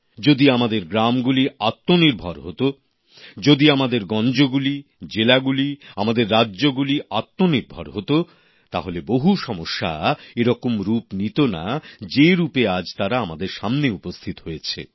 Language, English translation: Bengali, Had our villages, towns, districts and states been selfreliant, problems facing us would not have been of such a magnitude as is evident today